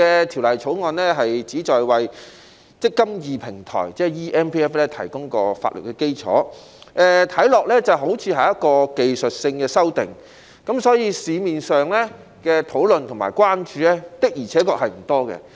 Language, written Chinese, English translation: Cantonese, 《條例草案》旨在為"積金易"平台，即 eMPF 提供法律基礎，看起來好像是技術性修訂，所以，社會上的討論和關注的而且確不多。, The Bill seeks to provide a legal basis for the eMPF Platform . It appears to be a technical amendment so indeed there has not been a lot of discussion and concern about it in the community